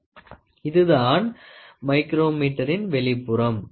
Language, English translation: Tamil, So, this is the outside micrometer